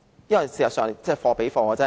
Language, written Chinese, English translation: Cantonese, 市民購物需要貨比貨。, People need to make comparisons when they make purchases